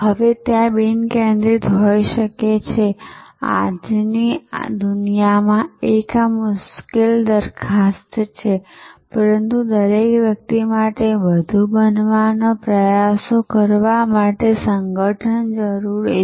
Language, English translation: Gujarati, Now, there could be unfocused, this is a difficult proposition in today’s world, but there are organization to try to be everything to everybody